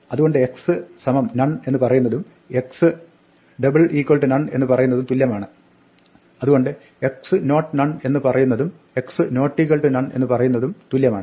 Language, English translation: Malayalam, So, x is none as the same as x equal to equal to none, so x is not none is the same as x not equal to none